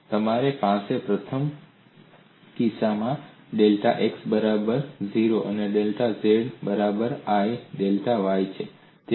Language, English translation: Gujarati, So you have in the first case, delta x equal to 0, delta z equal to i delta y, so it varies like this